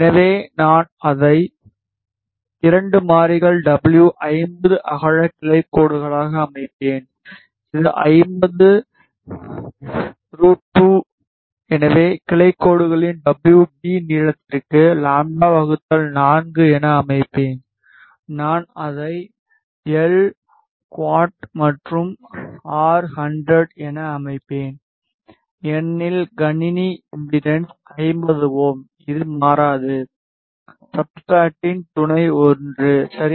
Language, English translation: Tamil, So, I will set it 2 variables w 50 width of branch lines which is 50 route to sorry set to w b length of the branch lines lambda by 4, I will set it to L quad and R is 100 ohms because the system impedance is 50 ohms which will not change, the substrate is sub 1 ok